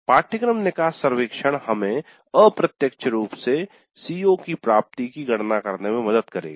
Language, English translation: Hindi, So the course exit survey would help us in computing the attainment of CO in an indirect fashion